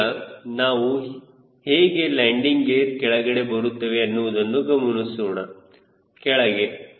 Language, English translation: Kannada, we will now see how the landing gears are coming down down